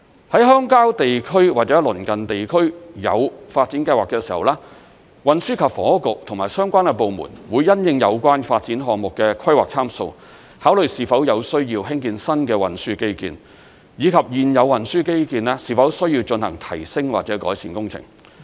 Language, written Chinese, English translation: Cantonese, 在鄉郊地區或鄰近地區有發展計劃的時候，運輸及房屋局和相關部門會因應有關發展項目的規劃參數，考慮是否有需要興建新的運輸基建，以及現有運輸基建是否需要進行提升或改善工程。, When a development project is to be taken forward in a rural area or its adjacent district the Transport and Housing Bureau and the related departments will consider the planning parameter of the development project and then decide whether new transport infrastructures have to be built and whether existing ones have to be upgraded or improved